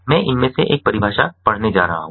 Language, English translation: Hindi, i am going to read one of these definitions